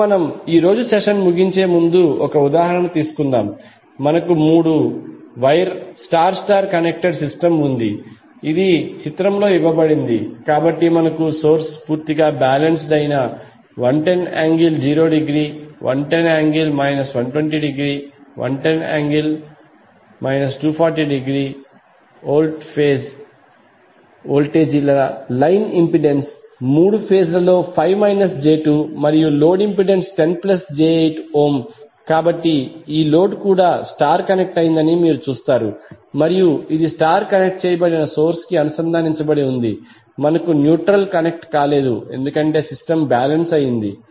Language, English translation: Telugu, Now let us take one example before closing our today’s we have three wire star star connected system which is given in the figure so we have source completely balanced 110 angle 0 degree 110 minus 120, 110 minus 240 degree volt as the phase voltages line impedance is five angle five minus J2 in all the three phases and load impedance is 10 plus J8 ohm, so you will see that this load is also star connected and it is connected to the start connected source we have we are not connecting the neutral because system is balanced